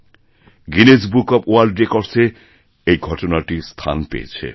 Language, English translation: Bengali, This deed found a mention in Guinness Book of World Records